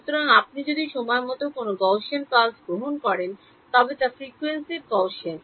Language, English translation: Bengali, So, if you take a Gaussian pulse in time it is Gaussian in frequency